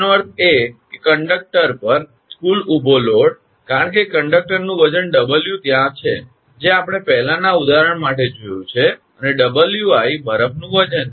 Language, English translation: Gujarati, That means the total vertical load on the conductor, because conductor weight is there W that we have seen for the previous example, and Wi is the weight of the ice